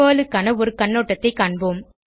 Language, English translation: Tamil, Let me give you an overview of PERL Language